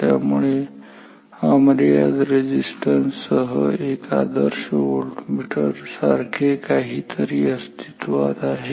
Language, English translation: Marathi, So, there exists something like a ideal voltmeter with infinite resistance